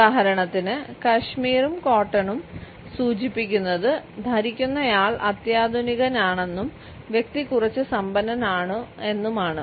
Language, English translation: Malayalam, For example, cashmere and cotton suggest that the wearer is sophisticated and also a well to do person